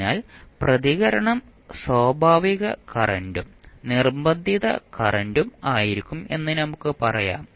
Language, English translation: Malayalam, So, now let us say that the response will be some of natural current some of forced current